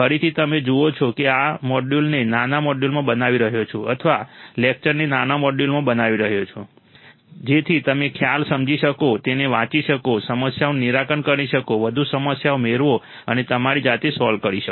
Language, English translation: Gujarati, Again you see I am breaking this module into small modules or breaking the lecture into small modules, so that you can understand the concept, read it, solve the problems get more problems and solve by yourself all right